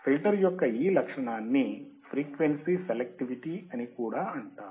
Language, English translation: Telugu, This property of filter is also called frequency selectivity